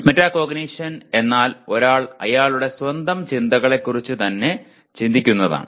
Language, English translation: Malayalam, Metacognition is thinking about one’s own thinking